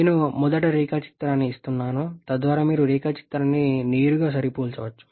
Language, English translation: Telugu, I am giving the diagram first so that you can directly compare the diagram